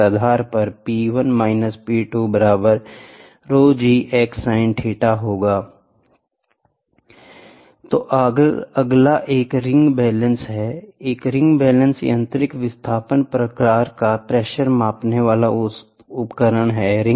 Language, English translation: Hindi, So, the next one is ring balance, a ring balance belongs to a mechanical displacement type pressure measuring device